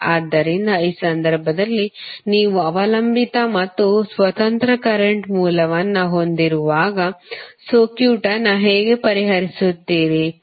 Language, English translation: Kannada, So, in this case when you have dependent and independent current source, how you will solve the circuit